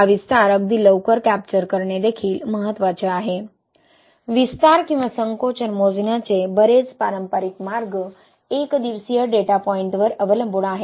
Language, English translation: Marathi, It is also important to capture this expansion very early on, a lot of conventional way of measuring expansion or shrinkage is relying on the one day Datapoint